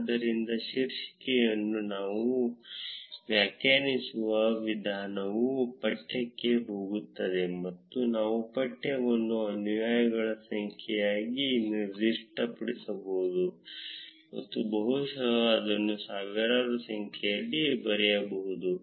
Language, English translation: Kannada, So, the way we define the title is going into the text, and we can specify the text as number of followers and can probably write it in thousands